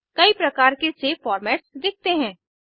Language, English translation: Hindi, Various save formats are seen